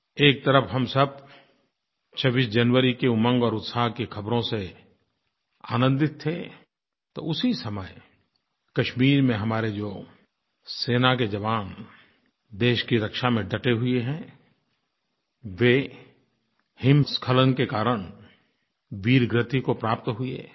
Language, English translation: Hindi, While we were all delighted with the tidings of enthusiasm and celebration of 26th January, at the same time, some of our army Jawans posted in Kashmir for the defense of the country, achieved martyrdom due to the avalanche